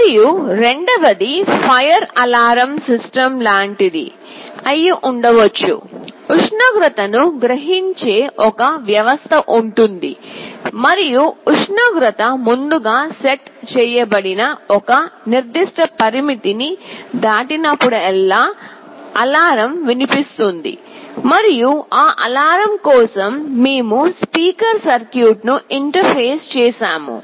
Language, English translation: Telugu, And secondly, there can be something like a fire alarm system, there will be a system which will be sensing the temperature and whenever the temperature crosses a certain preset threshold an alarm that will be sounded, and for that alarm we have interfaced a speaker circuit